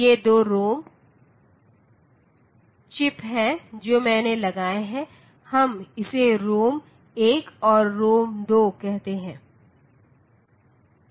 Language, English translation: Hindi, So, these are the 2 ROM chips that I have put, so we call it say ROM 1 and ROM 2